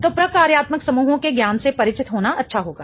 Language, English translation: Hindi, So, it would be good to get acquainted with the knowledge of functional groups